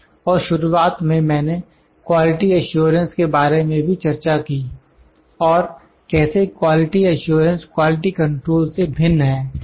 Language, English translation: Hindi, I discussed it in the beginning and how does quality assurance vary or differ from my quality control